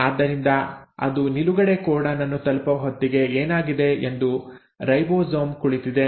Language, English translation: Kannada, So by the time it reaches the stop codon what has happened is, the ribosome is sitting